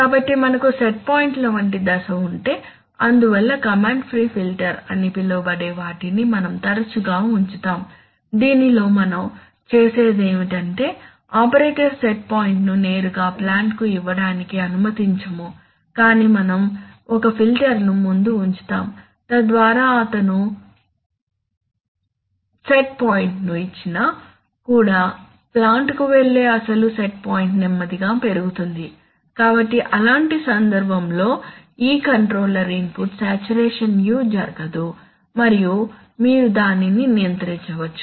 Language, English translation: Telugu, So if we have step like set points therefore we often put what is known as a command pre filter by, in which what we, what we do is that we don’t not allow the operator to give the set point directly to the plant but we put a filter in front, so that even if he gets give the set point the actual set point which will go to the plant will rise slowly, so in such a case this control input saturation u saturation will not take place and you can still control it